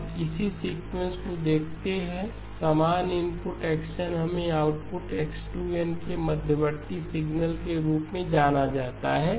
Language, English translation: Hindi, Now let us look at this sequence, same input x of n, let us the output be called as x2 of n and the intermediate signal x2 prime of n